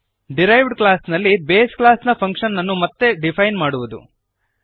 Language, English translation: Kannada, Redefining a base class function in the derived class